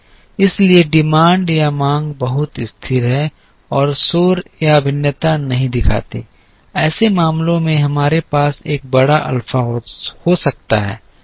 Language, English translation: Hindi, So, the demand is very stable and does not show noise or variation within, in such cases we can have a larger alpha